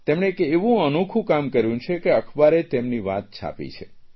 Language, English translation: Gujarati, He did something so different that the newspapers printed his story